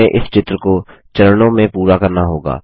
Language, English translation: Hindi, We shall complete this picture in stages